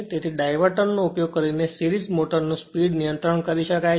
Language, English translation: Gujarati, So, this speed control of a series motor, motor using diverter